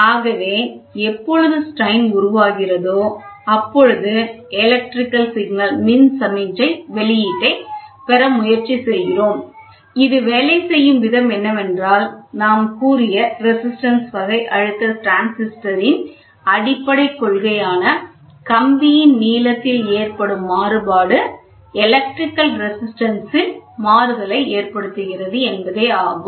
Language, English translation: Tamil, Thus, when the strains are getting introduced from that we try to get the electrical signal output so, that is what we say the basic principle of which is a resistance type pressure transducer working in which a variation in the length of the wire causes a change in the electrical resistance, variation means change other